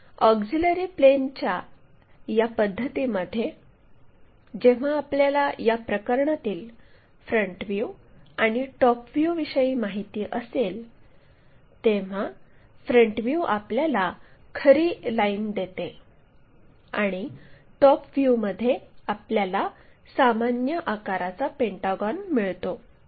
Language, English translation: Marathi, So, our auxiliary plane method, when we know the front views and the top views in this case, ah front view is giving us a line with true line and the top view is after ah having this view, we are getting a pentagon of regular shape